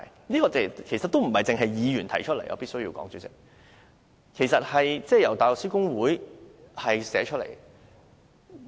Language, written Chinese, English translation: Cantonese, 主席，我必須指出，這不單是議員提出來的，其實是由香港大律師公會提出來的。, President I must point out that all these do not merely come from Members but actually also from the Hong Kong Bar Association